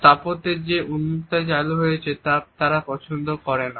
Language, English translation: Bengali, They do not like the openness which has been introduced in the architecture